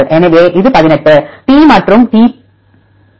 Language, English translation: Tamil, So, this is the 18 T and T match